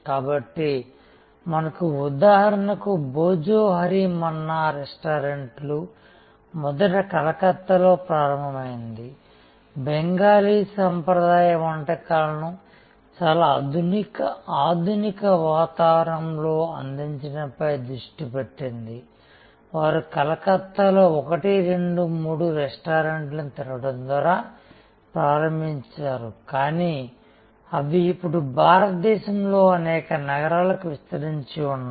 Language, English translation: Telugu, So, we have for example, Bhojohori Manna a chain of restaurant started originally in Calcutta, focused on offering Bengali traditional cuisine in a very modern ambiance, they started by opening one then two then three restaurant in Calcutta, but they are now spread over many cities in India